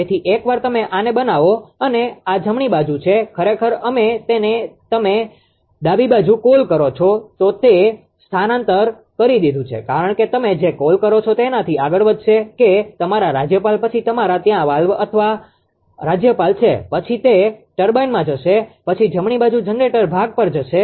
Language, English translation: Gujarati, So, once once you make this one and this right hand side actually we have made it to the what you call left hand side because will move from your what you call that your governor then your ah there is steam valve or governor then will move to the turbine then will move to the regenerator part right